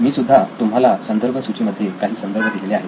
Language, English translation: Marathi, I have given you a few references as well in the reference list